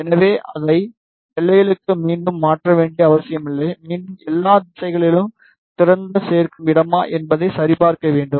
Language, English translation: Tamil, So, we need not to change it again for boundaries, again we need to check it is open add space in all the directions